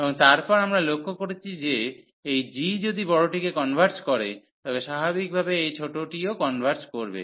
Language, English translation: Bengali, And then, we notice that if this g converges the bigger one the natural, this is smaller one will also converge